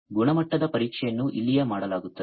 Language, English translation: Kannada, So, the quality testing is going to be done over here